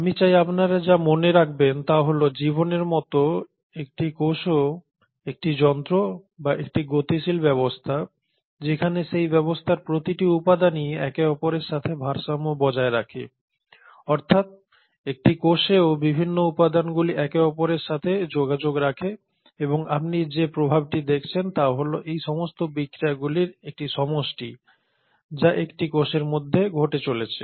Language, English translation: Bengali, But what I want you to bear in mind is that just like life a cell is a machinery or a dynamic system where each and every component of that system is in its equilibrium with the other also it is the cell where the various components of the cell talk to each other, communicate with each other and then the effect that you see is a sum total of all these reactions, all these interactions which are happening within a cell